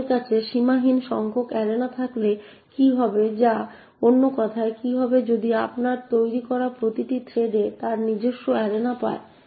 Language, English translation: Bengali, What would happen if we have unlimited number of arenas that is in other words what would happen if each thread that you create gets its own arena